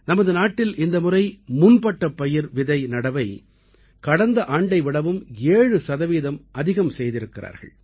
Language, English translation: Tamil, This time around in our country, sowing of kharif crops has increased by 7 percent compared to last year